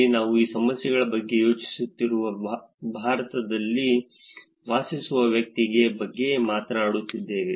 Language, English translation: Kannada, The perceptions here we are talking about person living in India who is thinking about these problems